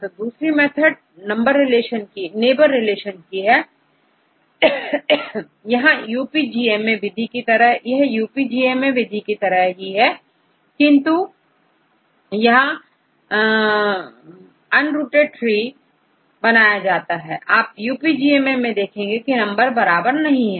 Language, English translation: Hindi, So, this is another method, this is called neighbor relation method, here also this is similar to UPGMA method, but this is a unrooted tree right, and you can see in the UPGMA method, sometimes the number is not the equal